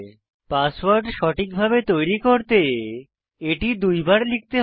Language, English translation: Bengali, Remember you have to create this password only once